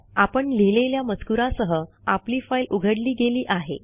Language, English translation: Marathi, our text file is opened with our written text